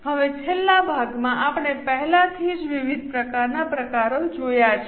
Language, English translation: Gujarati, Now the last part, we have already seen different types of variances